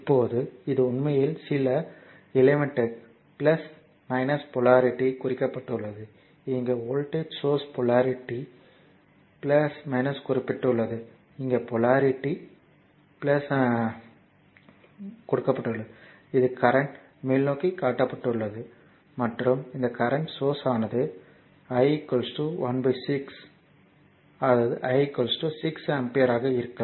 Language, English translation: Tamil, Now this is actually some element so, plus minus polarity has been mark, here also voltage source polarity plus minus has been mark, here also polarity plus minus has been mark right and this is your current is shown upward and this current source is showing 1 upon 6 I; that means, if I is equal to 6 ampere here I is equal to look 6 ampere if we put I is equal to 6 here it will be actually 1 ampere